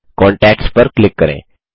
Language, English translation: Hindi, Click on contacts